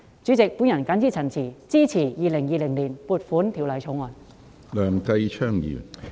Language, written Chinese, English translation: Cantonese, 主席，我謹此陳辭，支持《2020年撥款條例草案》。, President with these remarks I support the Appropriation Bill 2020